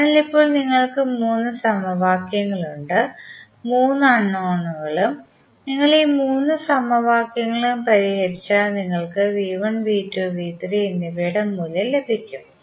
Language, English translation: Malayalam, So, now you have three equations, three unknown if you solve all those three equations you will get the simply the value of V 1, V 2 and V 3